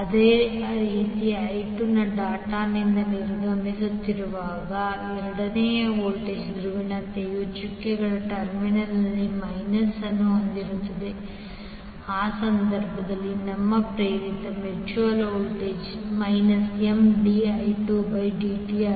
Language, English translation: Kannada, Similarly in case of I2 when I2 is exiting the dot but the voltage polarity at the second will have minus at the doted terminal in that case your induced mutual voltage will M dI 2by dt